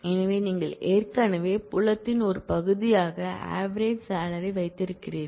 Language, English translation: Tamil, So, you already have that as a part of the field the average salary